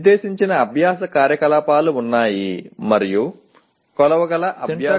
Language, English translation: Telugu, There is nonspecific learning activity and not a learning product that can be measured